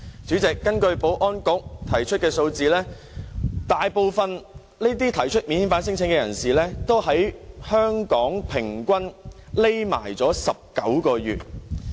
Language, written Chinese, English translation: Cantonese, 主席，根據保安局的數字，大部分提出免遣返聲請的人士在香港平均躲藏19個月。, President as shown by the figures of the Security Bureau the majority of non - refoulement claimants went into hiding in Hong Kong for 19 months on average